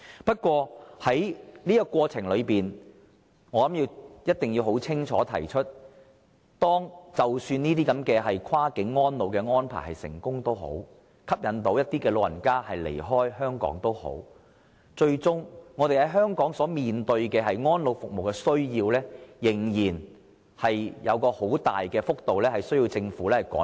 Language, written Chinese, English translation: Cantonese, 不過，在這過程中，我一定要清楚指出，即使這些跨境安老安排能成功推行，可以吸引一些長者離開香港，但香港最終面對的安老服務需要，仍有很大幅度的落差需要政府追趕。, Yet during the process I must point out clearly that even though we can implement various cross - boundary elderly care arrangements successfully and attract some elderly persons to move outside Hong Kong it will still be necessary for the Government to catch up with the demand for elderly care services in Hong Kong because the supply here is lagging far behind the demand